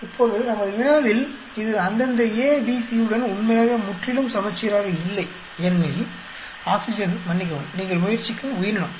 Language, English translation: Tamil, Now in our problem it is not really completely symmetric with respective A, B, C because the oxygen, sorry organism you are trying it out